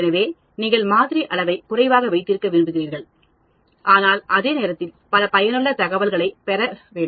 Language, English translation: Tamil, So, ideally you would like to keep the sample size less, but at the same time get lot of useful information